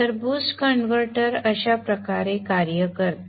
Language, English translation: Marathi, So this is how the boost converter operates